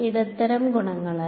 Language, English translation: Malayalam, By the medium properties